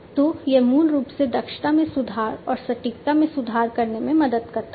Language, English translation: Hindi, So, this basically helps in improving the efficiency and improving, improving the precision, and so on